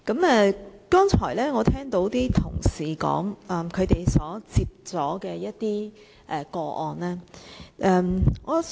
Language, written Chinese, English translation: Cantonese, 我剛才聽到同事提及他們接獲的個案。, I have heard Members mentioning the cases handled by them earlier